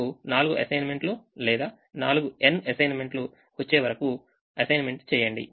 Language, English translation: Telugu, start making assignments till you get four assignments or n assignments